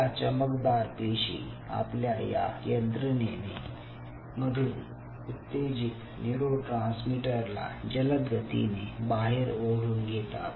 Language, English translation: Marathi, so these glial cells pulls away those excitatory neurotransmitters from the system very fast